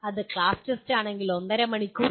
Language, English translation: Malayalam, If it is class test, it is one and a half hours